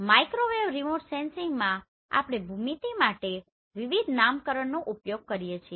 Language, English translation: Gujarati, In Microwave Remote Sensing we use different nomenclature for the geometry